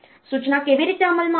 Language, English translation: Gujarati, How an instruction will be executed